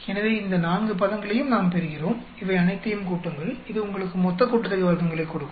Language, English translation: Tamil, So, we get these four terms, add up all of these, this will give you total sum of squares